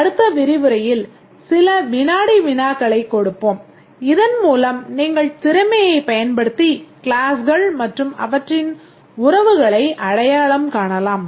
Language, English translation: Tamil, We'll give some assignments and also in the next lecture we'll give you some quizzes so that you pick up the skill and identifying the classes and their relationships